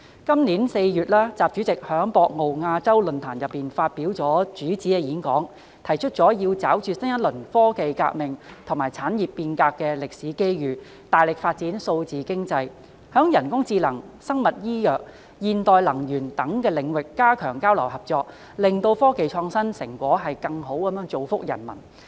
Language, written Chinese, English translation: Cantonese, 今年4月，習主席在博鰲亞洲論壇上發表主旨演講，提出"抓住新一輪科技革命和產業變革的歷史機遇，大力發展數字經濟，在人工智能、生物醫藥、現代能源等領域加強交流合作，使科技創新成果更好造福各國人民。, In April this year President XI delivered a keynote speech at the Boao Forum for Asia in which he put forward seizing the historic opportunities in a new round of scientific and technological revolution and industrial transformation to vigorously develop digital economy and step up exchanges and cooperation in areas such as artificial intelligence AI biomedicine and modern energy so that the fruits of scientific and technological innovation can be turned into greater benefits for people in all countries